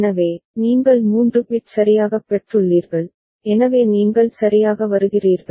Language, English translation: Tamil, So, you come to that is 3 bit correctly received, so you come to d right